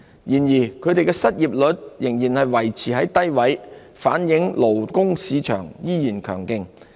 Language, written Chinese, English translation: Cantonese, 然而，他們的失業率仍維持在低位，反映勞工市場仍然強勁。, Still their unemployment rate continues to hover at low levels reflecting persistent strength in the labour market